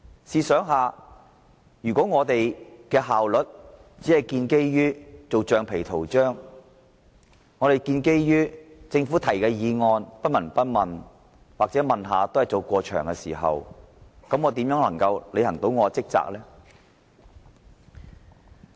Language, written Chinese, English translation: Cantonese, 試想想，如果我們的效率只建基於做橡皮圖章，對政府議案不聞不問或隨便問兩句，我們又如何可以履行職責呢？, How can we perform our duties if our efficiency is premised on being rubber stamps if we are indifferent to Government motions or perfunctorily ask a few questions?